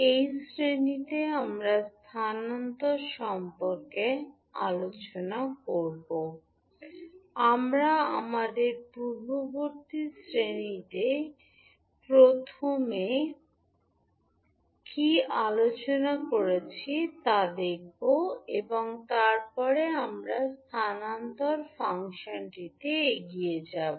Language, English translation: Bengali, So, in this class we will discuss about the transfer function and we will see what we discussed in our previous class first and then we will proceed to transfer function